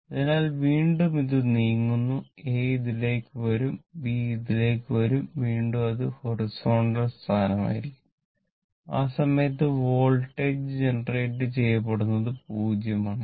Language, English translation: Malayalam, It is revolving this way, this is A and this is B again, it will horizontal position at that time voltage generation will be 0